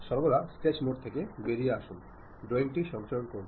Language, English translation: Bengali, Always come out of sketch mode, save the drawing